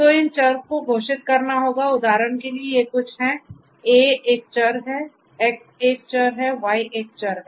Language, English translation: Hindi, So, these variables will have to be declared for example, these are some of these variables A is a variable, X is a variable, Y is a variable